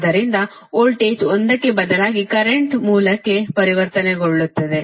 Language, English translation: Kannada, so, instead of voltage, one you transform in to a current source, right